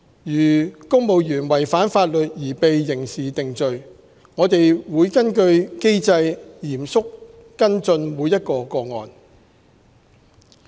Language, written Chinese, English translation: Cantonese, 如公務員違反法律而被刑事定罪，我們會根據機制嚴肅跟進每一個個案。, If a civil servant is convicted of a criminal offence we will seriously follow up each case in accordance with the established mechanism